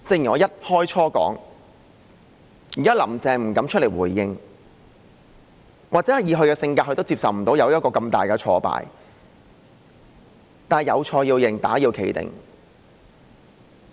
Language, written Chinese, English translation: Cantonese, 現時"林鄭"不敢出來回應，或許以她的性格，無法接受一個這麼大的挫敗，但"有錯要認，打要企定"。, Now Carrie LAM dares not come out to make a response . Perhaps considering her personalities she could not accept such a major setback . But one should own up to his mistakes and take the punishment direct and straight